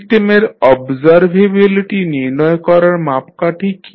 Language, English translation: Bengali, What is the criteria to find out the observability of the system